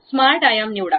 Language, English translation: Marathi, Smart dimension, pick that